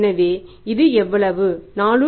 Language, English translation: Tamil, This works out as 4